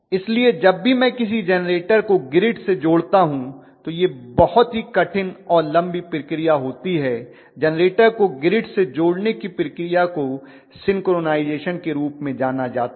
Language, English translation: Hindi, So on the whole whenever I connect a generator to the grid it is a very TDS and long process that process of connecting a generator to the grid is known as synchronization